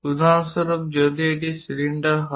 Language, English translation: Bengali, For example, if it is a cylinder having multiple steps